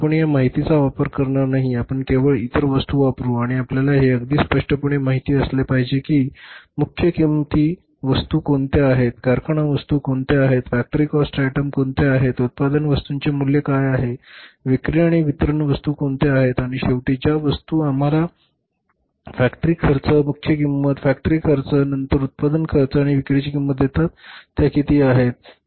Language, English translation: Marathi, You will not make use of this information, you will only use the other items and you should be knowing it very clearly where the say which are the prime cost items which are the factory item factory cost items which are the cost of production items which are sales and distribution items and finally the items which give us the say factory cost prime cost factory cost then the cost of production and cost of sales